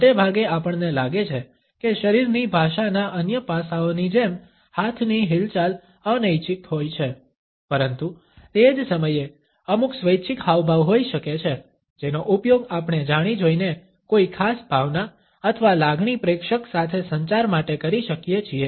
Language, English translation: Gujarati, Most of the time we find that hand movements like the rest of the body language aspect are involuntary, but at the same time there may be certain voluntary gestures which we can deliberately use to communicate a particular emotion or a feeling to the onlooker